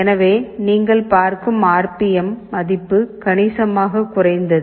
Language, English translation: Tamil, So, the RPM value dropped significantly you see